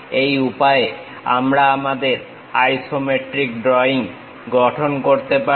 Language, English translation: Bengali, Now, how to draw such kind of isometric projections